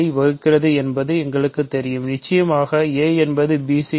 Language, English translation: Tamil, We know that a divides bc, of course, a is equal to bc